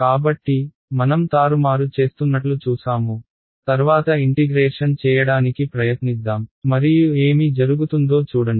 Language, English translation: Telugu, So, we have done some we were looking manipulation next let us try to integrate and see what happens ok